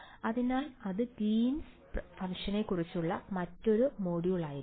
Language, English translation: Malayalam, So, that will be a another module on Greens functions which will come to